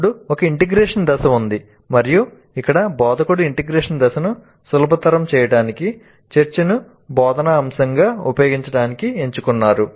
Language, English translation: Telugu, Then there is an integration phase and here the instructor has chosen to use discussion as the instructional component to facilitate the integration phase